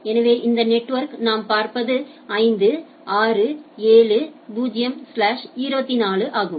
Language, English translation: Tamil, So, this network what we see is 5, 6, 7, 0 slash 24